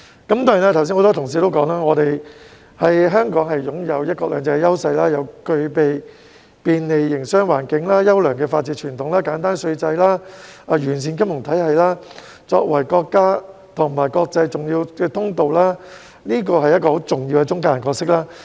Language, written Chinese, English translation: Cantonese, 此外，很多同事剛才說香港擁有"一國兩制"的優勢，又具備便利的營商環境、優良的法治傳統、簡單稅制、完善的金融體系，作為國家與國際重要的通道，這是一個很重要的中介人角色。, Besides many colleagues have said earlier that Hong Kong has the advantage of one country two systems a business - friendly environment a fine tradition of rule of law a simple tax regime a sound financial system and is an important gateway between the country and the rest of the world playing a very important intermediary role